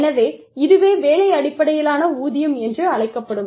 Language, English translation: Tamil, So, that is the job based pay